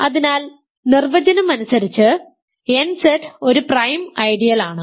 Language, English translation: Malayalam, So, by definition nZ is a prime ideal